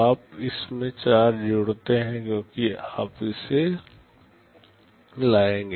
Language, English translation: Hindi, You add 4 to it because you will be fetching this